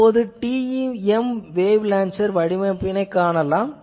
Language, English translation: Tamil, So, then there is a TEM wave launcher